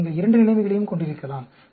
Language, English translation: Tamil, So, you can have both the situation